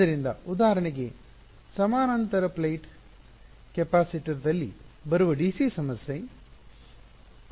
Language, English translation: Kannada, So, for example, parallel plate capacitor, a dc problem